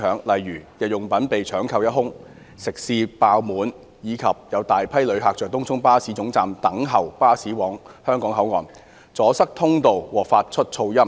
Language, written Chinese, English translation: Cantonese, 例如，日用品被搶購一空、食肆爆滿，以及有大批遊客在東涌巴士總站等候巴士往香港口岸，阻塞通道和發出噪音。, For example daily commodities were snapped up and sold out restaurants experienced an overflow of customers and a large number of tourists waiting at Tung Chung Bus Terminus for buses heading for the Hong Kong Port caused obstruction to passageways and noise nuisances